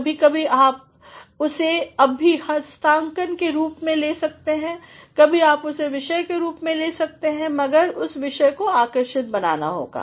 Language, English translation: Hindi, Sometimes you get it in the form of an assignment sometimes you get the topic, but that the topic has to be made intriguing